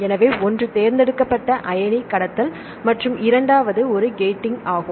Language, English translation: Tamil, So, one is the selective ion conduction and the second one is gating